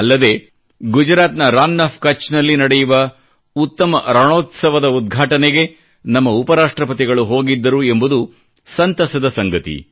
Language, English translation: Kannada, And it's a matter of joy that our Vice President too visited the Desert Festival held in Rann of Kutch, Gujarat for the inauguration